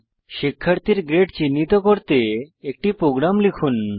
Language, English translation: Bengali, Let us write a program to identify grade of a student